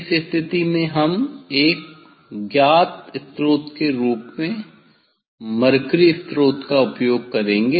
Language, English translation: Hindi, in this case we will use the mercury source as a known source